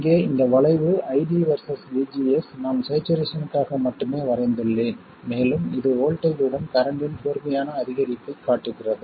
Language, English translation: Tamil, And this curve here ID versus VGS I would want it only for saturation and it shows a sharp increase of current with voltage and as the voltage increases it becomes sharper and sharper